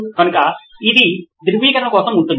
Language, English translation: Telugu, So then it would be for verification